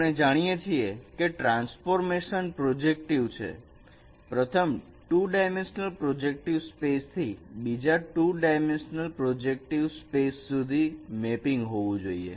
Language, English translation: Gujarati, First, it has to be mapping from a two dimensional projective space to another two dimensional projective space